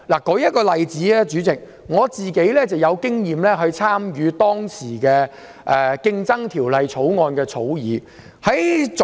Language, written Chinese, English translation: Cantonese, 代理主席，舉例而言，我曾參與《競爭條例草案》的審議工作。, Deputy President let me cite an example . I have participated in the scrutiny of the Competition Bill